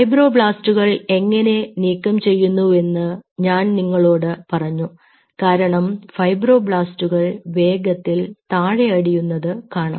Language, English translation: Malayalam, i told you how you are removing the fibroblasts, because the fibroblasts will be settling down faster